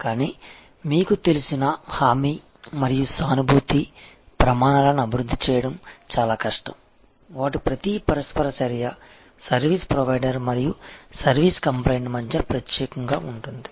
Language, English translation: Telugu, But, assurance and empathy you know, it is very difficult to develop scales their each interaction is unique between the service provider and the service client